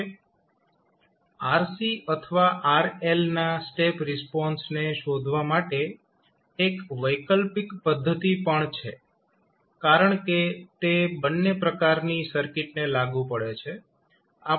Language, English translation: Gujarati, Now, there is an alternate method also for finding the step response of either RC or rl because it is applicable to both of the types of circuits